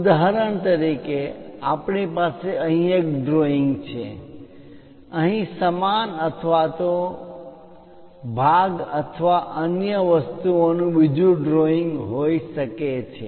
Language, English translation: Gujarati, For example, we have a drawing of this here, there might be another drawing of the same either part or other things here